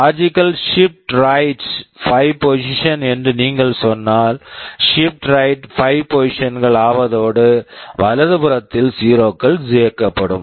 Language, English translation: Tamil, If you say logical shift right by 5 positions similarly you shift right and 0’s get added